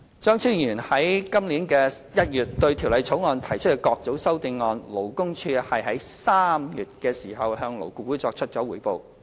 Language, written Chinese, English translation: Cantonese, 張超雄議員在今年1月對《條例草案》提出的各組修正案，勞工處於3月向勞顧會作出匯報。, Dr Fernando CHEUNG proposed the three groups of amendments to the Bill in January and the Labour Department reported to LAB in March this year